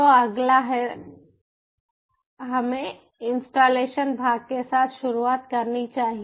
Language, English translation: Hindi, so next is: so lets ah get started the installation part